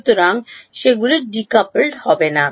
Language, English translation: Bengali, So, they are not decoupled